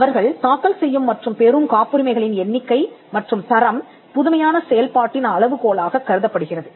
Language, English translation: Tamil, The quantity and quality of patents they file for and obtain are considered as the measure of innovative activity